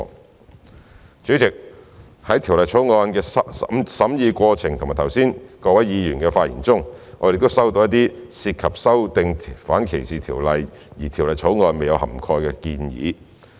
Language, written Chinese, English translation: Cantonese, 代理主席，在《條例草案》的審議過程以及剛才各位議員的發言中，我們亦收到一些涉及修訂反歧視條例的建議，而有關建議未納入《條例草案》內。, Deputy President some of the recommendations for amending the anti - discrimination ordinances that we noted during the scrutiny of the Bill and raised by Members just now have not been incorporated into the Bill